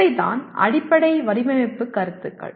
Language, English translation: Tamil, That is what fundamental design concepts